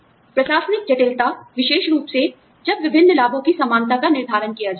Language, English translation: Hindi, Administrative complexity, especially, when determining equivalence of various benefits